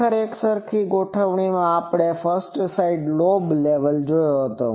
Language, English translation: Gujarati, Actually, in an uniform array, we have seen the 1st side lobe level